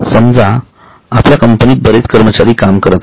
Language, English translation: Marathi, We have got a lot of employees working in our company